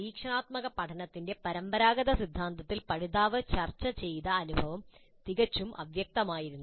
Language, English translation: Malayalam, In the traditional theory of experiential learning, the experience negotiated by the learner was quite vague